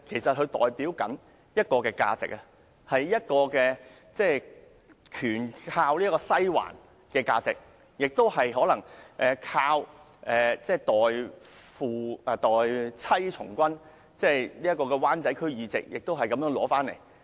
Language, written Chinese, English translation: Cantonese, 因為他代表一種價值，一種完全依賴"西環"的價值，亦可能是一種代妻從軍的價值，其灣仔區議席亦可能是因此而獲得。, It is because he represents the kind of value which is entirely dependent on the Western District or perhaps the kind of value under which he took over his wifes duties of a Member of the District Council . And this may be the reason for his winning a seat in the Wan Chai District Council